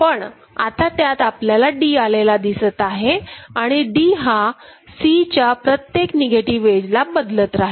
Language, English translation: Marathi, Then there will be a D coming over there right, so that D will change for every negative edge of C ok